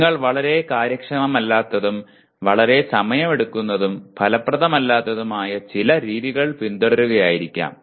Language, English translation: Malayalam, You may be following certain method which is very very inefficiently, very time consuming and it is not effective